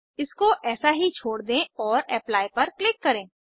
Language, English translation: Hindi, Lets leave as it is and click on Apply